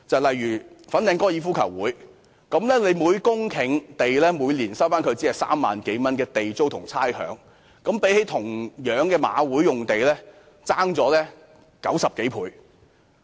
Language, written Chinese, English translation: Cantonese, 例如粉嶺香港高爾夫球會，政府每年只就每公頃土地收取3萬多元地租和差餉，與香港賽馬會同樣的用地相差90多倍。, One example is the Hong Kong Golf Club Fanling . The Government rent and rates charged by the Government every year merely amount to some 30,000 per hectare roughly 90 times less than the amount levied on The Hong Kong Jockey Club for its site of the same size